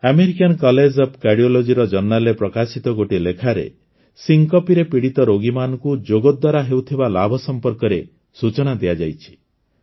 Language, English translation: Odia, A paper published in the Journal of the American College of Cardiology describes the benefits of yoga for patients suffering from syncope